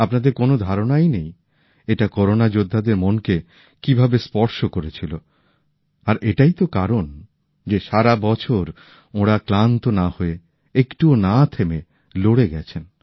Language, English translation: Bengali, You cannot imagine how much it had touched the hearts of Corona Warriors…and that is the very reason they resolutely held on the whole year, without tiring, without halting